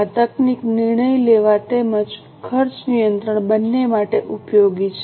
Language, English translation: Gujarati, This technique is useful for both decision making as well as cost control